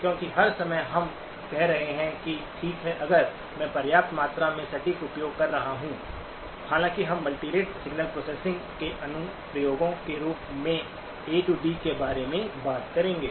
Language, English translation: Hindi, Because all the time we are saying that okay if I am using sufficient amount of precision, though we will talk about A to D as an application of multirate signal processing